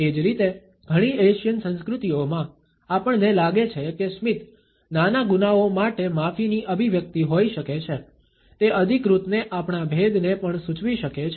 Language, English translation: Gujarati, Similarly, in several Asian cultures, we find that a smile may be an expression of an apology for minor offenses; it may also indicate our difference to authority